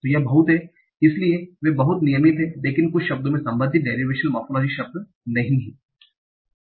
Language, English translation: Hindi, So they are pretty regular, but some words do not have the corresponding derivational word